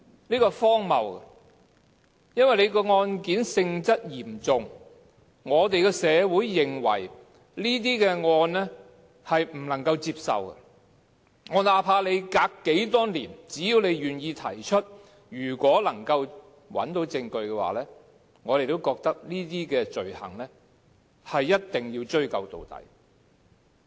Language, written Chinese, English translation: Cantonese, 這是荒謬的，因為案件性質嚴重，社會認為這些案件不能夠接受，那怕相隔多少年，只要願意提出，如果能夠找到證據，我們也覺得這些罪行一定要追究到底。, Otherwise it is ridiculous . Owing to their gravity these cases are considered unacceptable by society . Despite the long lapse of time so long as some people are willing to voice out and provided that evidence is found these offences must be pursued to the end